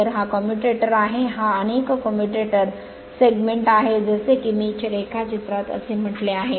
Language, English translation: Marathi, Then this is commutator this is so many commutator segment as I mean in the diagram it is few you will have many right